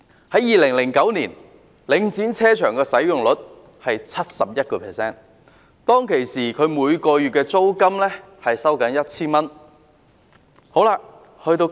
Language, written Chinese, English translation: Cantonese, 在2009年，領展停車場的使用率是 71%， 當時每月租金是 1,000 元。, In 2009 the utilization rate of Link REIT car parks was 71 % and the monthly rent was 1,000 back then